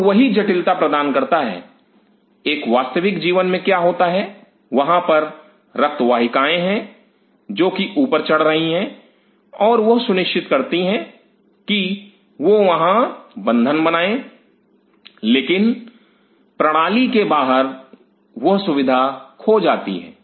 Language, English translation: Hindi, And that adds up to the complexity in a real life what happens there are blood vessels which are crawling through and they ensure that these binds there, but outside the system that privilege is lost